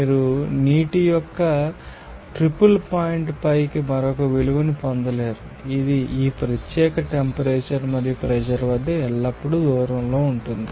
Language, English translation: Telugu, You cannot get another value up the triple point of water, this will be you know that always will be a distance at this particular temperature and pressure